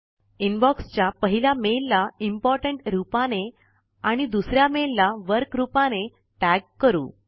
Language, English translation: Marathi, Lets tag the the first mail in the Inbox as Important and the second mail as Work